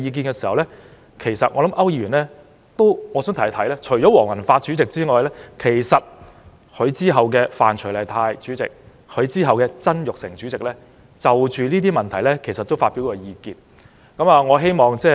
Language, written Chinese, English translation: Cantonese, 但我想提一提區議員，除了黃宏發主席外，其實在他之後的范徐麗泰主席、曾鈺成主席，都曾就該些問題發表過意見。, However I would like to remind Mr AU that apart from former President Andrew WONG his successors namely Mrs Rita FAN and Mr Jasper TSANG have actually given their opinions on those issues as well